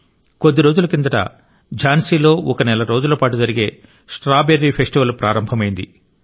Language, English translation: Telugu, Recently, a month long 'Strawberry Festival' began in Jhansi